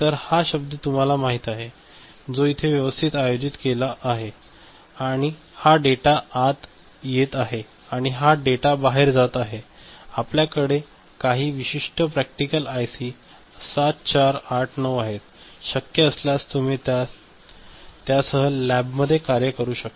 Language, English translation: Marathi, So, this is word you know, organized right and this is the data coming in and this is the data going out and we have some, this particular thing a practical IC, IC 7489; if possible you can work with it in the lab